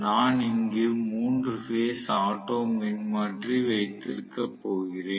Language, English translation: Tamil, I am going to have a 3 phase auto transformer here